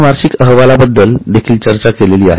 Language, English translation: Marathi, We also discussed about annual report